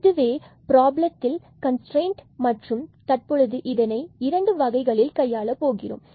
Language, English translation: Tamil, So, this is a problem of a constraint and now we will deal in two ways